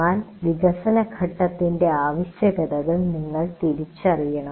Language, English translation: Malayalam, But you must recognize the requirements of development phase